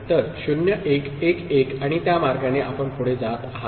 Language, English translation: Marathi, So, 0 1 1 1 and that way you continue